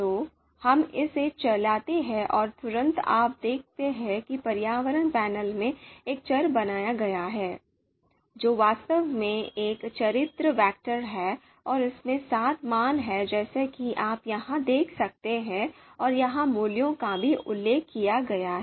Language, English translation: Hindi, So let us run this and immediately you would see that in the environment panel here you would see a criteria you know variable has been created which is actually a character vector and having seven values as you can see here and the values are also mentioned here